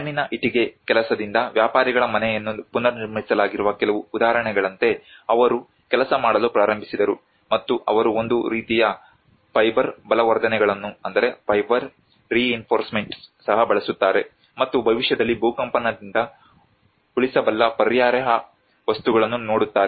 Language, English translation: Kannada, And that is how they started working on like a few examples where a merchants house has been rebuilt by the clay brickwork and they also use a kind of the fiber reinforcements and looking at the alternative materials which can sustain the earthquake in future as well